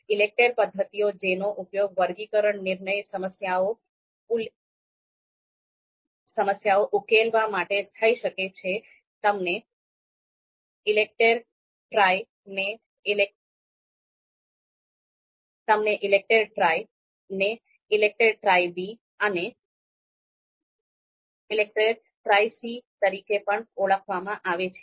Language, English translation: Gujarati, The methods you know the ELECTRE methods which could actually be used to solve a sorting decision problems are ELECTRE Tri also you know called ELECTRE Tri B and ELECTRE Tri C